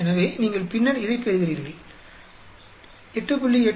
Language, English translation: Tamil, So, you get this then, 8